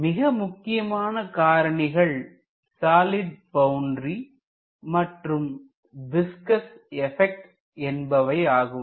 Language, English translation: Tamil, One of the important factors is presence of a solid boundary and viscous effects